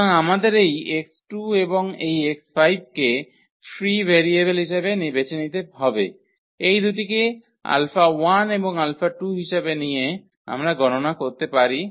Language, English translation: Bengali, So, we have to choose this x 2 and this x 5 as free variables by choosing these two as alpha 1 and alpha 2 we can compute all other x 1 x x 1 x 3 and x 4